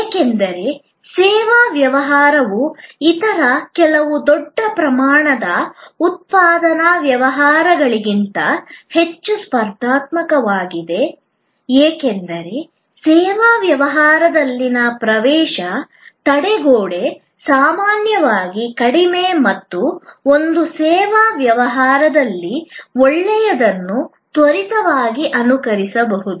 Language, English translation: Kannada, Because, service business is much more competitive than certain other large scale manufacturing businesses, because the entry barrier in the service business is often lower and good things in one service business can be quickly emulated